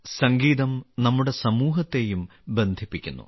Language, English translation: Malayalam, Music also connects our society